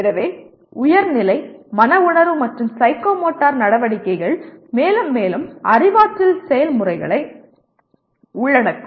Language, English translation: Tamil, So higher level, affective and psychomotor activities will involve more and more cognitive processes